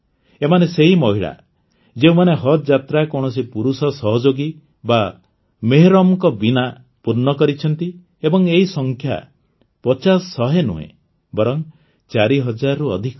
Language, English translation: Odia, These are the women, who have performed Hajj without any male companion or mehram, and the number is not fifty or hundred, but more than four thousand this is a huge transformation